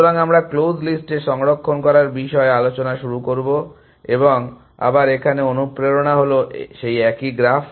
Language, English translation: Bengali, So, we will begin with talking about saving on close list and again, the motivation is the same graph